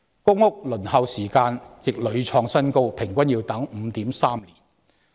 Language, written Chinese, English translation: Cantonese, 公屋輪候時間亦屢創新高，現時平均要等候 5.3 年。, The waiting time for public rental housing PRH has repeatedly hit record highs and the average waiting time at present is 5.3 years